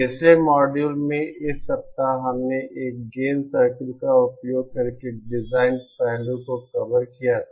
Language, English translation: Hindi, In the previous modules in this week we had covered the design design aspect using gain circle